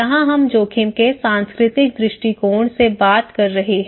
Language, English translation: Hindi, Here, we are talking from the cultural perspective of risk